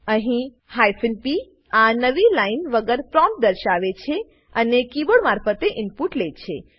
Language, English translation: Gujarati, Here p displays the prompt, without a newline and takes input from the keyboard